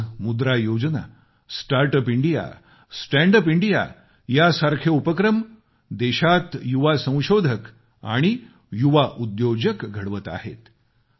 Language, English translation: Marathi, Today our monetary policy, Start Up India, Stand Up India initiative have become seedbed for our young innovators and young entrepreneurs